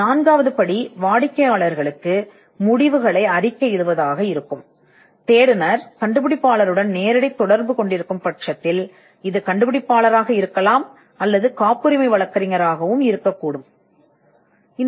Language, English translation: Tamil, And the fourth step would be to report the results to the client, which could be the inventor himself, if the searcher is directly dealing with the inventor or the patent attorney